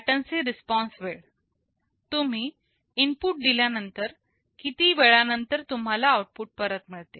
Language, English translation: Marathi, Latency response time: you give an input after how much time you are getting back the output